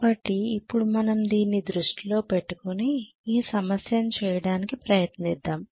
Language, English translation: Telugu, So now with this in mind let us try to do this problem